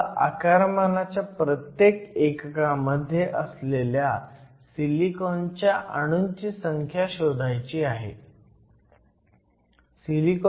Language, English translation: Marathi, We need to find out the number of silicon atoms per unit volume